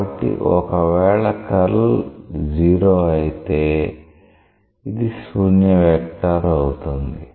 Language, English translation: Telugu, So, if the curl is 0, it is a null vector